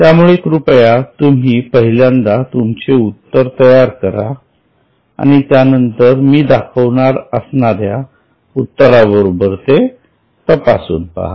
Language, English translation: Marathi, So please prepare the solution first and then check it with the solution which I am going to show